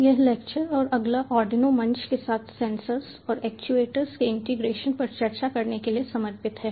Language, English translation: Hindi, this lecture and the next one are dedicated to discussing the integration of sensors and actuators with arduino platform